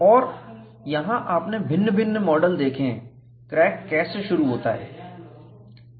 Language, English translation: Hindi, And here, you see different models how crack initiates from the surface